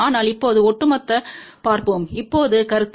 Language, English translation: Tamil, But now let us just look at the overall concept now